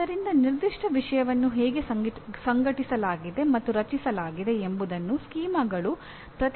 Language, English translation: Kannada, So schemas represent how a particular subject matter is organized and structured